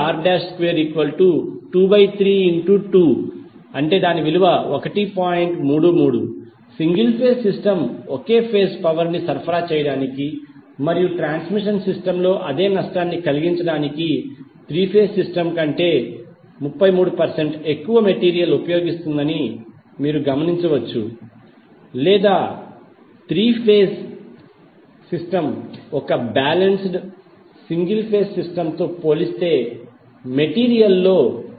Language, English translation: Telugu, 33 So what you can observe now, you can observe that the single phase system will use 33 percent more material than the three phase system to supply the same amount of power and to incur the same loss in the transmission system or you can write alternatively that the three phase system will use only 75 percent of the material as compared with the equivalent single phase system